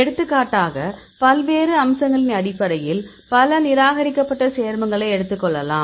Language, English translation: Tamil, For example, I showed several rejected compounds based on various aspects for example, take this one